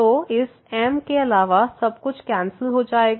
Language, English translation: Hindi, So, everything other than this will cancel out